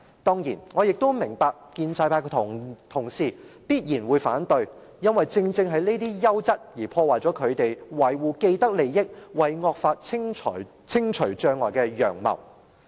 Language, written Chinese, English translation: Cantonese, 當然，我明白建制派的同事必然會反對，因為這些優質的運作，正正會破壞他們維護既得利益、為惡法清除障礙的陽謀。, Certainly I understand that colleagues from the pro - establishment camp will oppose these amendments anyway for these quality practices will thwart their blatant attempt to protect their vested interests and remove obstacles for the passage of draconian laws